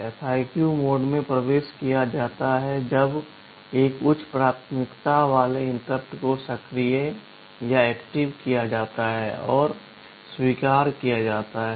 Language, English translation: Hindi, The FIQ mode is entered when a high priority interrupt is activated and is acknowledged